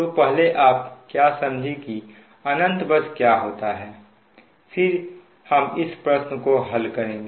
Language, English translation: Hindi, so first will try to see what is infinite bus and then will try to solve this problem